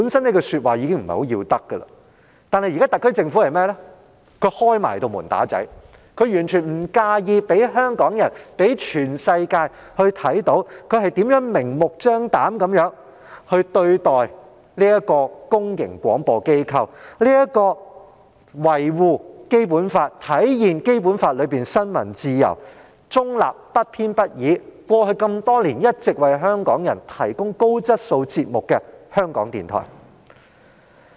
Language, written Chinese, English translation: Cantonese, 這話本身已不甚要得，但現在特區政府更要"開門打仔"，完全不介意讓香港人和全世界看到他們如何明目張膽地對待這個公營廣播機構，這個維護《基本法》、體現《基本法》中新聞自由、中立、不偏不倚精神，並在過去多年一直為香港人提供高質素節目的港台。, This is by no means an acceptable approach but the SAR Government has now gone so far as to beat up its child with the door open not minding at all that Hong Kong people and the whole world can clearly see how RTHK is treated unscrupulously when this public broadcaster has all along been safeguarding the Basic Law upholding the spirit enshrined in the Basic Law in respect of freedom of the press neutrality and impartiality and providing Hong Kong people with programmes of high quality over the years